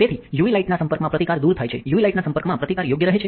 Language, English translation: Gujarati, So, exposure to UV light remove resist, exposure to UV light maintains resist right